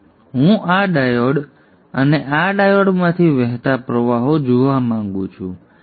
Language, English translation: Gujarati, Now I would like to see the currents that are flowing through this diode and this diode